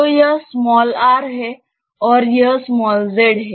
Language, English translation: Hindi, So, this is r and this is z